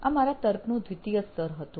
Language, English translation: Gujarati, So that was my second level of reasoning